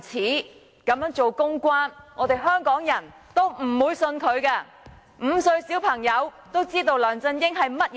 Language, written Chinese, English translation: Cantonese, 不論他怎樣做公關工作，我們香港人也不會相信他，連5歲小朋友也知道梁振英是甚麼人。, Whatever public relations shows he will stage Hong Kong people will not believe in him . Even a five - year - old knows what sort of person LEUNG Chun - ying is